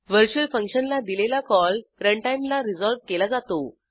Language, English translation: Marathi, Virtual function call is resolved at run time